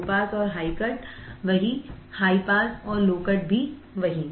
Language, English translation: Hindi, low pass and high cut same, high pass low cut are same